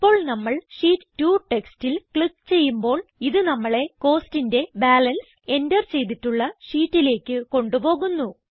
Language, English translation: Malayalam, Now, when we click on the text Sheet 2, it directly takes us to the sheet where we had entered the balance for Cost